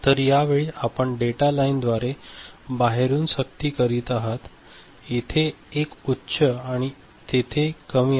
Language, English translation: Marathi, So, at that time you are forcing from external you know through this data line, a high over here and a low over there